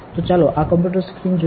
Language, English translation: Gujarati, So, let us look at this computer screen